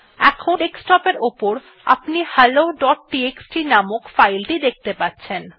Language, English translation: Bengali, Now on the desktop you can see the file hello.txt